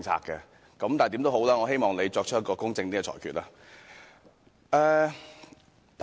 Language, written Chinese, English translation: Cantonese, 但無論如何，我希望你作出公正的裁決。, But anyway I hope you will demonstrate impartiality in your ruling